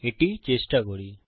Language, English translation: Bengali, Lets try it